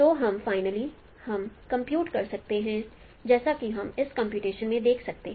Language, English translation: Hindi, So we can finally you can compute the normal as you can see into this computation